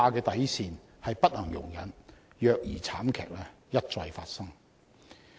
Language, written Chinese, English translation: Cantonese, 底線是不能容忍虐兒慘劇一再發生。, The bottom line is that the recurrence of tragedies of child abuse cannot be tolerated